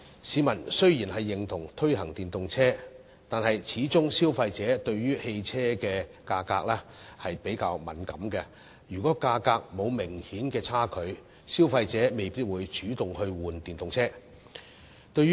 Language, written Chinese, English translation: Cantonese, 市民雖然認同推廣電動車，但消費者對於汽車價格始終較敏感，如果價格沒有明顯差距，消費者未必會主動更換電動車。, Although the public agree with promoting EVs consumers are more sensitive to the price of the vehicle . If there is not an obvious difference in the price consumers may not actively switch to EVs